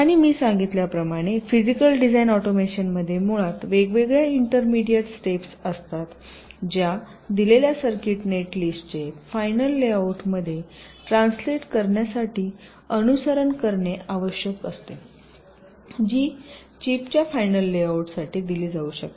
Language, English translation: Marathi, ok, and physical design automation, as i had mentioned, it basically consists of the different intermediates, steps that need to be followed to translate ah, given circuit net list, into the final layout which can be given for final fabrication of the chip